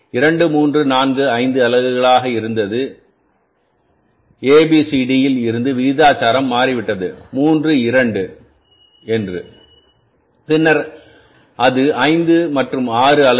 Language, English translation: Tamil, Once the proportion has changed from A, B, C, D, 2, say again from the 2, 3, 4, 5 units to maybe 3, 2 then it is 5 and 6 units